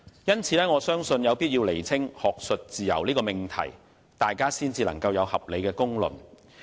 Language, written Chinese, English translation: Cantonese, 因此，我相信有必要先釐清"學術自由"這命題，才可以有合理的公論。, Such being the case I believe it is necessary to clarify the proposition of academic freedom before a reasonable judgment can be made